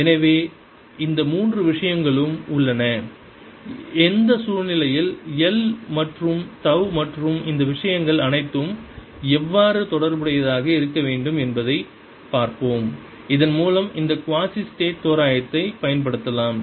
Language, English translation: Tamil, so these three things are there and let us see under what circumstances how should l and tau or all this thing should be related so that we can apply this quazi static approximation